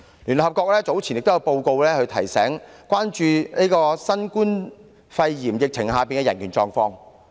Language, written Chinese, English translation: Cantonese, 聯合國早前亦發表報告，提醒大家關注新冠肺炎疫情下的人權狀況。, The United Nations has published a report earlier to remind us of the need to watch out for the human rights situation during the outbreak of the novel coronavirus pneumonia